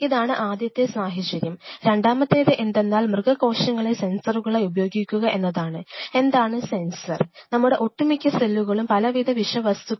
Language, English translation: Malayalam, This is one situation the next is two; using animal cells as sensors what do I mean by sensors say for example, you can use most of our cells are very sensitive to different kind of toxins